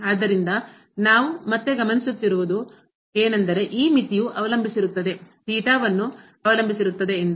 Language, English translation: Kannada, So, what we observe again that this limit is depend on is depending on theta